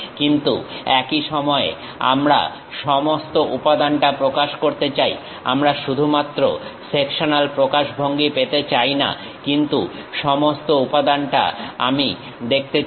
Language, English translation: Bengali, But at the same time, we want to represent the entire element; we do not want to have only sectional representation, but entire element also I would like to really see